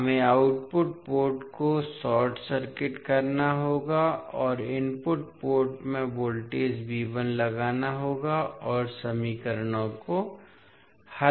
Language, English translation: Hindi, We have to short circuit the output port and apply a voltage V 1 in the input port and solve the equations